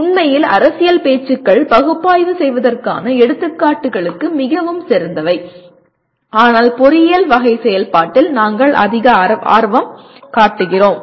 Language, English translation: Tamil, And actually political speeches they are great things to really examples for analyzing but we are more interested in the engineering type of activity